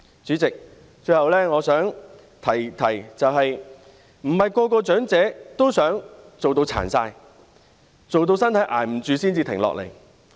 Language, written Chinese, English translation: Cantonese, 主席，最後我想提出的是，不是每個長者也想工作至身體勞損、支撐不了才停下來。, President lastly what I wish to say is that not all elderly people want to work until their bodies are strained or until they cannot bear it anymore